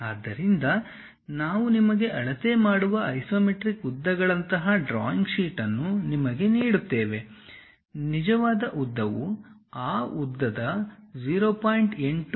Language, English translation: Kannada, So, if I am giving you a drawing sheet on which there is something like isometric lengths which we are measuring, the true length will be 0